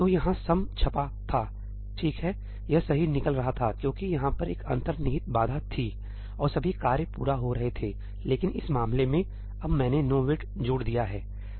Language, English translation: Hindi, So sum was been printed here, right, it was coming out correct because there was an implicit barrier over here and all the tasks were completing; but in this case, now I have added a ënowaití